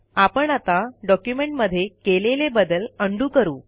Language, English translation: Marathi, Now lets undo the change we made in the document